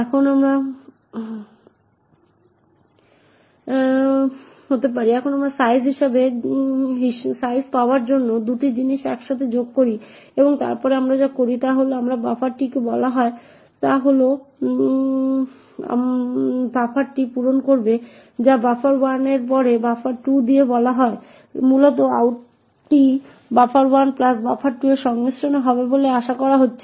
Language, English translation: Bengali, Now we add these 2 things together to obtain size and then what we do is we would fill the buffer called out with buffer 1 followed by buffer 2, so essentially out is expected to be the concatenation of buffer 1 plus buffer 2